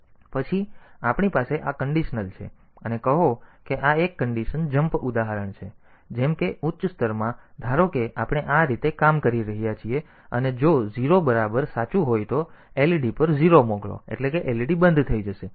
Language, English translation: Gujarati, Then we have this is the conditional and say this is one condition jump example like in the high level suppose we are acting like this if a equal to 0 is true then send a 0 to LED, that is LED will be turned off